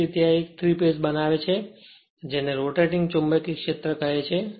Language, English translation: Gujarati, So, it will create a 3 phase your what you call rotating magnetic field